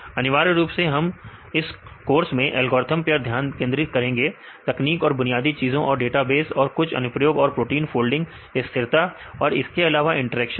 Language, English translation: Hindi, Essentially the this course we mainly focused on the algorithms, techniques and the fundamentals and databases right and some of the applications and protein folding stability and as well as interactions